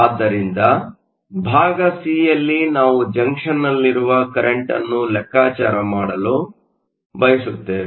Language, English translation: Kannada, So part c, we want to calculate the current in the junction